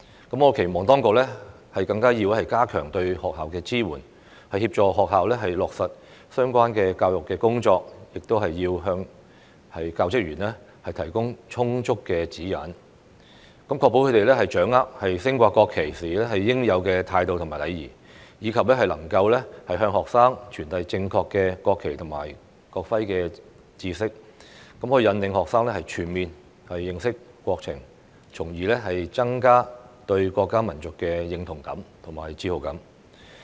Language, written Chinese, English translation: Cantonese, 我期望當局更要加強對學校的支援，協助學校落實相關教育工作，亦要向教職員提供充足的指引，確保他們掌握升掛國旗時應有的態度與禮儀，以及能夠向學生傳遞正確的國旗及國徽知識，引領學生全面認識國情，從而增加對國家民族的認同感和自豪感。, I hope that the authorities will provide more support to schools and assist them in implementing education - related work and also give adequate guidelines to teaching staff so as to ensure that they grasp the proper attitude and etiquette on displaying the national flag and be able to convey to students the correct knowledge of the national flag and national emblem and guide students to have a comprehensive understanding of the country thereby enhancing their sense of identity with and sense of pride for the country and the nation